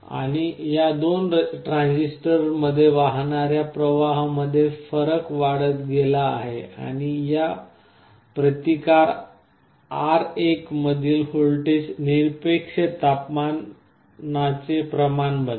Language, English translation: Marathi, And the difference in the currents that are flowing into these two transistors is amplified and the voltage across this resistance R1, is actually becoming proportional to the absolute temperature